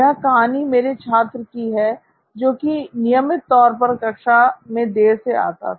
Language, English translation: Hindi, One of my students was very regular in coming late to classes